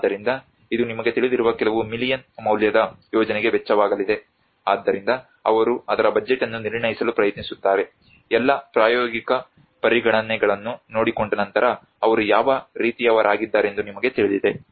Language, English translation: Kannada, So this is going to cost few millions worth of project you know so then they try to assess the budget of it you know what kind of so after all taking care of the practical considerations